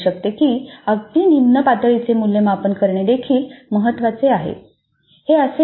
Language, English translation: Marathi, It could be that it is important to assess even a lower level because it is important